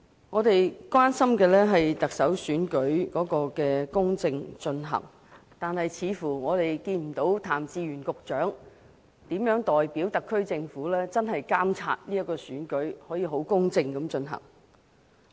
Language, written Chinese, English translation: Cantonese, 我們關心的是特首選舉能否公正進行，但我們似乎看不到譚志源局長如何代表特區政府監察這次選舉，確保可以公正地進行。, Our concern is whether the Chief Executive Election will be conducted fairly but it seems to us that Secretary Raymond TAM has not monitored the process of the Election on behalf of the Government to ensure its fair conduct